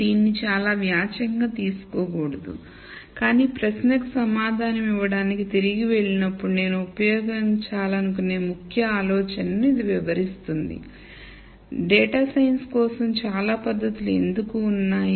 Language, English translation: Telugu, And not to take this very literally, but this illustrates the key idea that I want to use when we go back to answering the question as to why there are so many techniques for data science